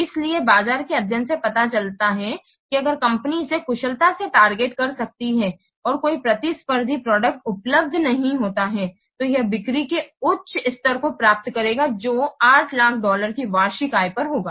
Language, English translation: Hindi, So, study of the market shows that if the company can target it efficiently and no competing products become available, then it will obtain a high level of sales generating what an annual income of $8,000